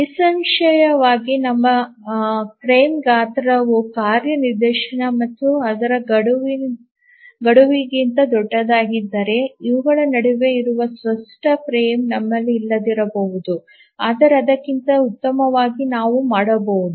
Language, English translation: Kannada, Obviously if our frame size is larger than the task instance and its deadline, we may not have a clear frame which exists between this